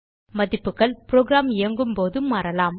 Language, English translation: Tamil, The values can change when a program runs